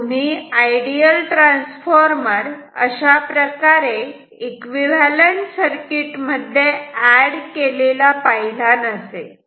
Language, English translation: Marathi, So, possibly you have not seen this ideal transformer also added in this equivalent circuit